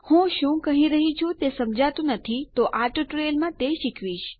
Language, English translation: Gujarati, If you dont know what i mean Ill be going through it in this tutorial